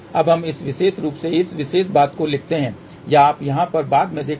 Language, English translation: Hindi, Now, let us write this particular thing in this particular form or you can look into later on this here